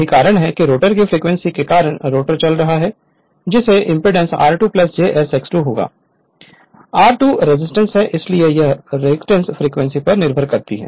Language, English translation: Hindi, So, this is your what you call your that is why the rotor frequency will be now rotor is running it's impedance will be r2 plus j s X 2, r 2 is resistance, but this reactance depends on the frequency